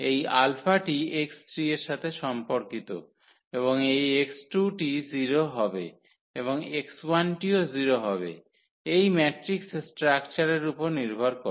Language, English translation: Bengali, So, therefore, this alpha is corresponding to x 3 and this x 2 will be 0 and x 1 will be also 0 from this structure of the matrix